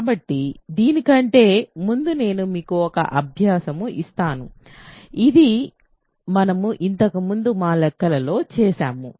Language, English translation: Telugu, So, before that let me actually give you an exercise, which we have essential done in our calculations earlier